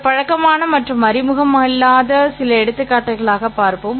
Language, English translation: Tamil, Let us look at some familiar and little unfamiliar examples